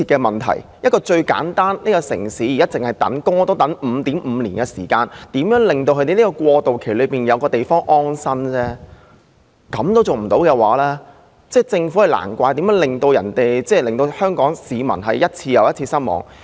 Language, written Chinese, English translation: Cantonese, 問題如此迫切，單是輪候公屋也要 5.5 年時間，現在只是要求在過渡期內為輪候人士提供安身之所而已，連這也做不到，難怪政府一次又一次令香港市民失望。, The problem is so imminent just the waiting time for public housing is 5.5 years we just request the provision of accommodation for people on Waiting List during the interim period now even this cannot be achieved no wonder the Government has repeatedly let the Hong Kong people down